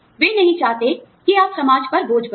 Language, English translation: Hindi, They do not want you, to be a burden on society